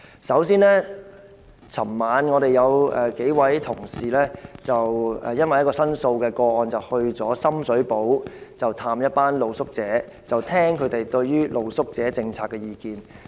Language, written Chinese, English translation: Cantonese, 首先，昨晚我們有數位同事因為一宗申訴個案，前往深水埗探訪一群露宿者，聆聽他們對於露宿者政策的意見。, First of all last night because of the referral of a complaint case some of our Honourable colleagues went to Sham Shui Po to visit a group of street sleepers to listen to their views on the policy on street sleepers